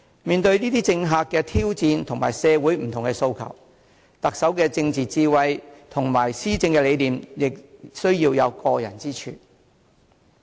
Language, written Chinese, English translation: Cantonese, 面對政客的挑戰及社會不同的訴求，特首的政治智慧及施政理念亦需要有過人之處。, Owing to politicians challenges and the many aspirations in society the Chief Executive must be a person with exceptional political wisdom and governing philosophy